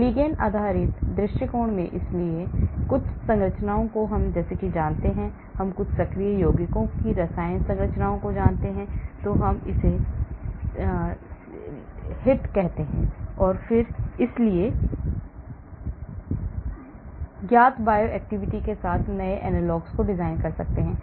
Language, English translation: Hindi, in the ligand based approach, so I know some structures, I know the chemical structures of some active compounds, we call it leads or hits and then so I design, synthesize new analogs with known bioactivity,